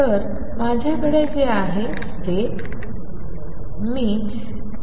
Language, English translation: Marathi, So, what I have is